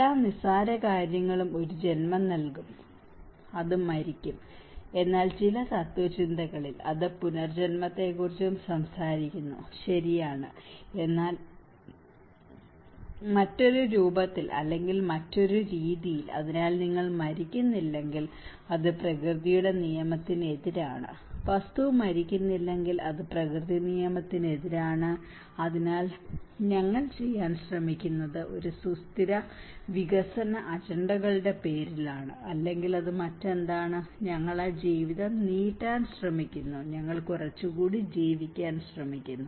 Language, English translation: Malayalam, Every simple thing will give a birth, and it will die, but in certain philosophies, it also talks about the rebirth, okay but in a different form or in a different way so, if you do not die, it is against the law of nature, if the thing is not dying it is against the law of nature, so what we are trying to do is in the name of a sustainable development agendas or whatever it is, we are trying to prolong that life you know, we are trying to live little longer